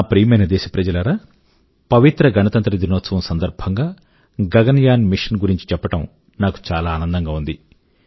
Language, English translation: Telugu, My dear countrymen, on the solemn occasion of Republic Day, it gives me great joy to tell you about 'Gaganyaan'